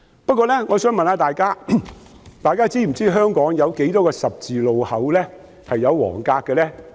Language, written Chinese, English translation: Cantonese, 不過，我想問大家是否知道香港有多少個十字路口是劃有黃格的呢？, Yet may I ask Members if they know how many yellow box junctions there are in Hong Kong?